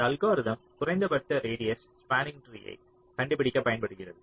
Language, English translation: Tamil, this algorithm can be used to find the minimum radius spanning tree